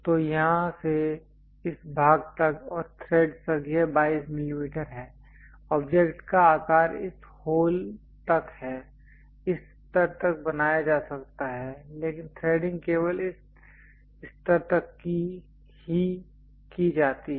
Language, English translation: Hindi, So, from here it is 22 mm up to this portion and thread perhaps the object size is up to that hole might be created up to this level, but threading is done up to this level only